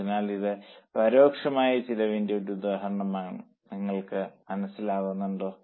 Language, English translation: Malayalam, So, it is an example of indirect costs